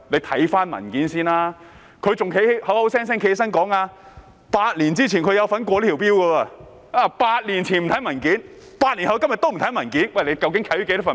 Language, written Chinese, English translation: Cantonese, 他還口口聲聲說，他8年前有參與通過這項法例 ，8 年前不看文件 ，8 年後的今天也不看文件。, How dare he say he had voted for the legislation eight years ago? . He did not study the papers eight years ago and neither does he do so today